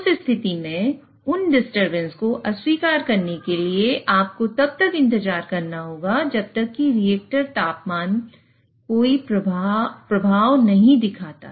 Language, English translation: Hindi, So, in that case, in order to reject those disturbances, you will have to wait for this reactor temperature to show any effect